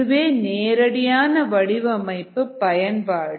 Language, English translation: Tamil, that's the straight forward design application